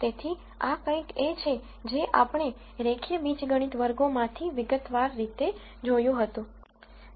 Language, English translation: Gujarati, So, this is something that we have dealt with in detail, in one of the linear algebraic classes